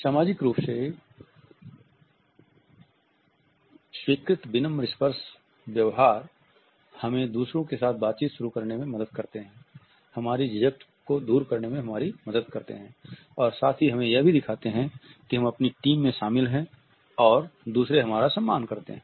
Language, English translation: Hindi, Socially sanctioned polite touch behaviors help us to initiate interaction with others, help us to overcome our hesitations and at the same time it shows us that we are included in our team and that we are respected by others